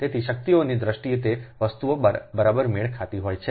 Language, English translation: Gujarati, so in terms of power, those things has to match right